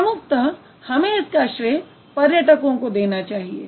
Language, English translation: Hindi, Primarily the travelers should be given the credit